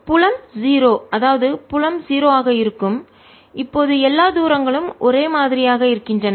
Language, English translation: Tamil, field is going to be zero now, all the distances of the same